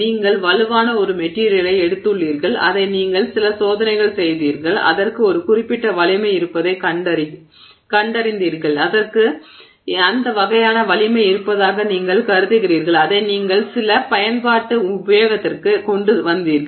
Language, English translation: Tamil, It means that you have taken a material that is strong and you put it to use in some application, you did some test and you found that it has a certain strength, you assume that it has that kind of a strength and you put it into use in some application